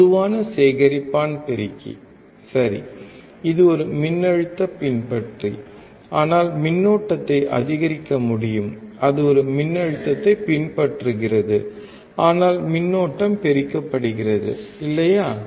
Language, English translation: Tamil, Common collector amplifier, right, it is a voltage follower, but can increase the current is follows a voltage, but current is amplified, right